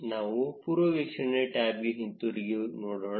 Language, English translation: Kannada, Let us go back to the preview tab